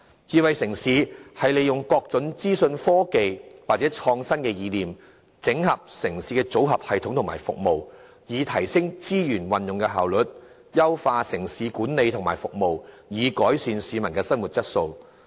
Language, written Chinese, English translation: Cantonese, 智慧城市是利用各種資訊科技或創新的意念，整合城市的組合系統及服務，以提升資源運用的效率，並優化城市管理及服務，藉以改善市民的生活質素。, The concept of Smart City is to make use of all sorts of information technologies or innovative ideas to consolidate the citys information systems and services in order to increase the efficiency of resource utilization while enhancing city management and services to improve peoples quality of life